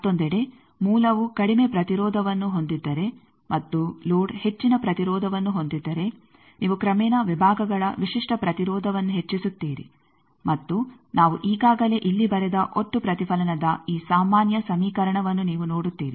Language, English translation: Kannada, On the other hand, if source is having lower impedance and load is having higher impedance then you gradually go on increasing the characteristic impedance of sections and this generic equation of total reflection we already written here you see this one